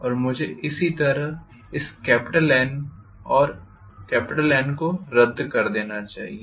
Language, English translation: Hindi, And I should be able write similarly this N and this N are cancelled